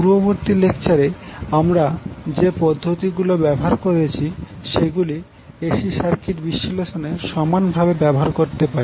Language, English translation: Bengali, So whatever we techniques, the techniques we used in previous lectures, we can equally use those techniques for our AC circuit analysts